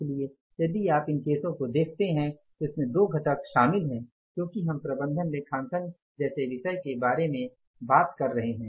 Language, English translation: Hindi, So, if you look at these cases, it involves two components because we are talking about the subject like management accounting